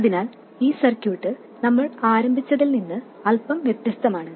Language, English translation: Malayalam, So, this circuit is somewhat different from what we started with